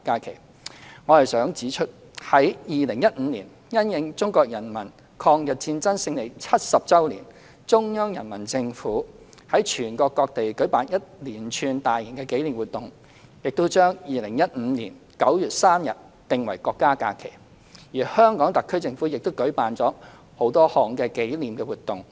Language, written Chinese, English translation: Cantonese, 然而，我想指出，在2015年因應中國人民抗日戰爭勝利70周年，中央人民政府於全國各地舉辦一連串大型紀念活動，並將2015年9月3日訂為國家假期，而香港特區政府亦舉辦了多項紀念活動。, However I wish to point out that in 2015 to commemorate the 70 anniversary of the Chinese Peoples War of Resistance against Japanese Aggression the Central Peoples Government organized a range of large - scale commemorative activities throughout the country and designated 3 September 2015 as a national holiday . The Hong Kong SAR Government also held a host of commemorative activities